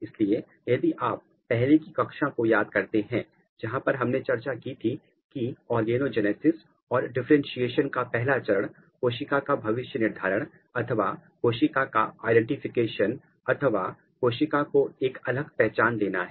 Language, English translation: Hindi, So, if you remember a previous class where we have discussed that the first step of organogenesis or differentiation is cell fate specification or identity of a cell or specifying identity how this is possible